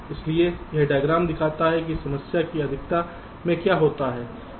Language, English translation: Hindi, so this diagram shows, in the excess of time, what happens from left to right